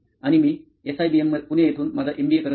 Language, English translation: Marathi, And I am pursuing my MBA from SIBM, Pune